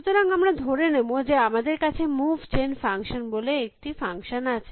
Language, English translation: Bengali, So, we will assume that we have a function called Move Gen function